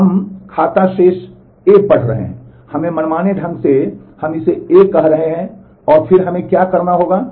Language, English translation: Hindi, We are reading the account balance A, let us arbitrarily we are calling it A